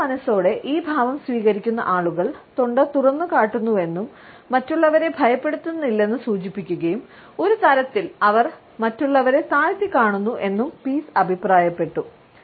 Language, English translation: Malayalam, Pease has commented that people who adopt this posture in a subconscious manner expose their throat suggesting that they are not afraid of other people and in a way they suggest that they are looking down their nose to you